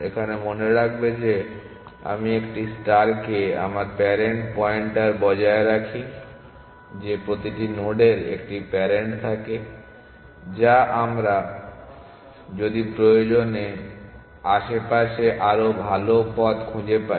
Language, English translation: Bengali, So, remember that I a star we maintain the parent pointer that every node had a parent which we would if necessary if we found a better path around